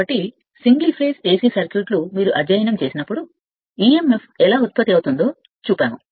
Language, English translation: Telugu, So, when you studied that your single phase AC circuits are the type we showed that how emf is generated